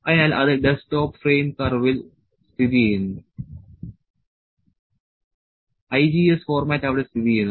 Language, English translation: Malayalam, So, it is located in desktop frame curve IGES format is located there